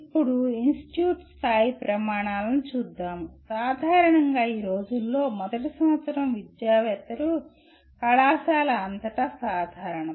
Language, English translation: Telugu, And now coming to institute level criteria, generally these days first year academics is kind of common across the college